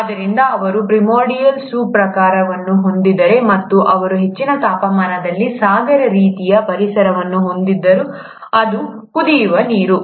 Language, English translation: Kannada, So they had a primordial soup kind and they had an ocean kind of environment at a very high temperature, which is the boiling water